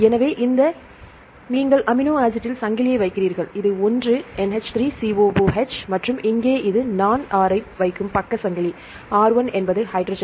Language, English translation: Tamil, So, here you put the chain one this is the amino acid one, NH3 COOH and here this is the side chain I put R; R1 and this is a hydrogen